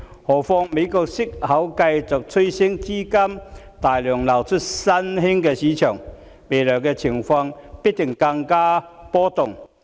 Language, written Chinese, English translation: Cantonese, 何況，美國息口繼續趨升，資金大量流出新興市場，未來的情況必定更為波動。, As the upward trend of the interest rates continues in the United States which will result in a large amount of capital flowing out of the emerging markets the future conditions are set to become more volatile